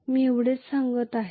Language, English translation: Marathi, That is all I am saying